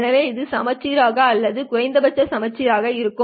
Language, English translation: Tamil, So hopefully this is all symmetric or at least it should be looking symmetric to you